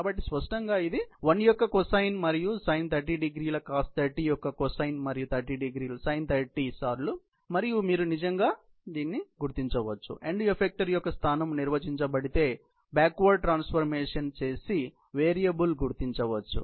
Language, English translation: Telugu, So obviously, it be the cosine of 1 and sine, cosine of 30 degrees and sine of 30 degrees times 1, and you can actually figure out, do the variable, do the backward transformation figure out that if the end of the effector position is defined